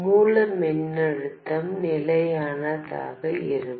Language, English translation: Tamil, The source voltage will remain fixed